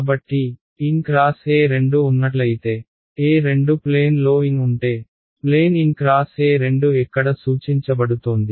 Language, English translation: Telugu, So, E 2 cross n E 2 cross n if E 2 is in the plane n is in the plane where is n cross E 2 pointing